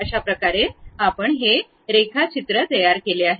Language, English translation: Marathi, This is the way we have constructed line diagrams